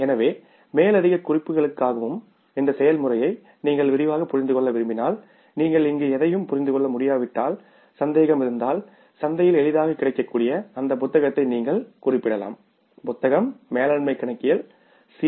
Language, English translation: Tamil, So, for the further reference and if you want to understand this process in detail, if you are not able to understand anything here for any doubt you can refer to that book which is easily available in the market